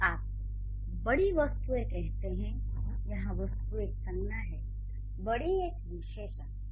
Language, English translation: Hindi, When you say large objects, object is a noun, large would be an adjective